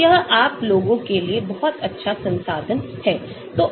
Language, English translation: Hindi, so this is a very nice resource for you guys